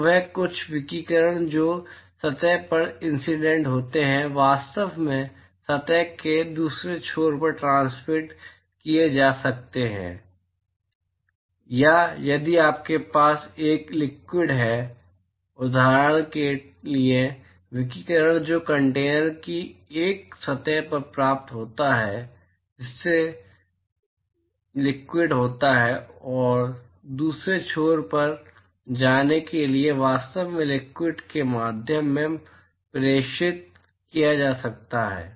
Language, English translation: Hindi, So, there some of the radiation which is incident to the surface can actually be transmitted to the other end of the surface or if you have a liquid, for example, the radiation which is received on one surface of the container which is containing the liquid could actually be transmitted through the liquid to go into the other end